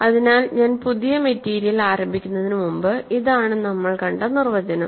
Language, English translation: Malayalam, So, before I start the new material, this is the definition, right